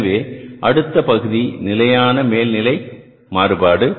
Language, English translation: Tamil, So now the next part is the fixed overhead variance